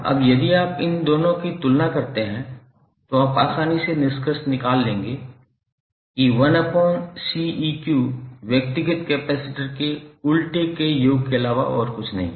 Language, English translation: Hindi, Now if you compare these two, you will easily conclude that 1 upon c equivalent is nothing but the summation of the reciprocal of individual capacitances